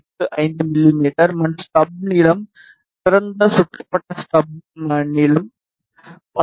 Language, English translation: Tamil, 85 mm and stub length open circuited stub length of 19